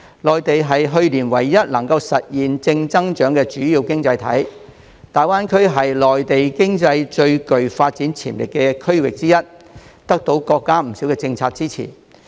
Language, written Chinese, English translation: Cantonese, 內地是去年唯一實現正增長的主要經濟體，而大灣區是內地經濟最具發展潛力的區域之一，得到國家不少政策的支持。, The Mainland was the only major economy that achieved positive growth last year and GBA is one of the regions with awesome development potential in the Mainland economy and has the support of many national policies